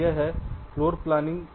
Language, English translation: Hindi, that is floor planning